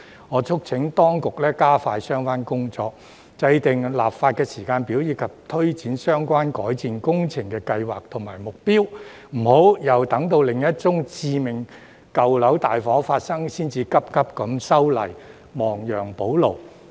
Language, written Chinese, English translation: Cantonese, 我促請當局加快相關工作，制訂立法時間表，推展相關改善工程計劃，並制訂目標，不要待另一宗致命舊樓大火發生，才匆匆修例，亡羊補牢。, I urge the Administration to expedite the relevant work draw up a legislative timetable for implementing the relevant improvement works project and set targets . It should not wait until another major deadly fire breaks out in an old building before amending the legislation hastily to remedy the situation